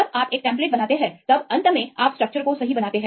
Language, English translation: Hindi, When you make a template then finally you model the structure right